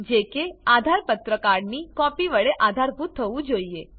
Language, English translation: Gujarati, It should be supported by a copy of the AADHAAR card